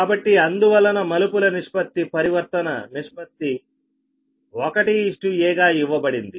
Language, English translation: Telugu, so thats why trans ratio, transformation ratio, is given